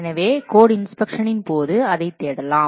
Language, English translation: Tamil, So that can be searched during code inspection